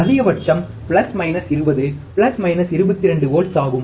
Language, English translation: Tamil, Maximum is plus minus 20, plus minus 22 volts